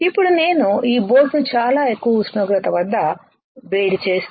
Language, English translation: Telugu, Now, if I heat this boat at extremely high temperature right